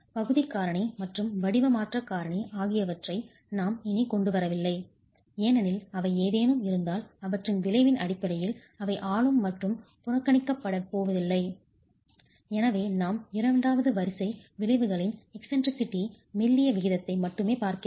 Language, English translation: Tamil, We are not bringing in the area factor and the shape modification factor anymore because those are not going to be governing and are negligible in terms of their effect if any and therefore we are only going to be looking at the second order effects, eccentricity ratio and the slendinous ratio